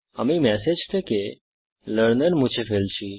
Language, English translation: Bengali, Im removing the Learner from the message